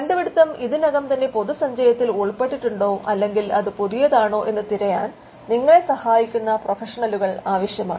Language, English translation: Malayalam, It requires professionals who can help you in searching whether the invention is already fallen into the prior art or whether it is novel